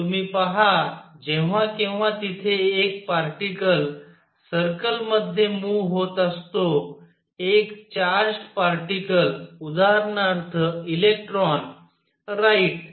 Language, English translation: Marathi, You see whenever there is a particle moving in a circle a charged particle for an example an electron right